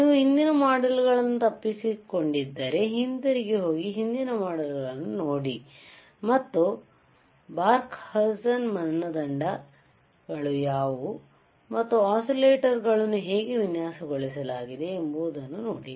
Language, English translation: Kannada, iIf you have missed the earlier modules, go back and see earlier modules and see how what are the bBarkhausen criteria is and how the oscillators were designed